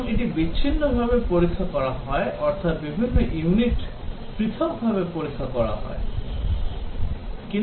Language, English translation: Bengali, And this is tested in isolation that is different units are tested separately